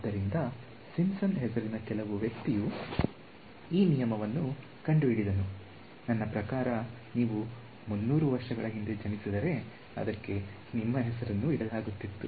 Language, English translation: Kannada, So, some person by the name of Simpson discovered this rule, I mean if you were born 300 years ago, it would be named after you right; it is nothing very great about it